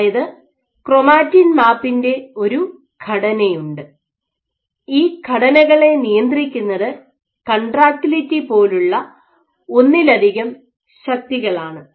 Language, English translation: Malayalam, So, there is a structure of chromatin map, and what they find that these structures, is controlled by multiple forces like contractility